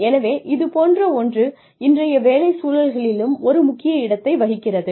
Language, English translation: Tamil, So, something like that, would also find a niche, in today's work environments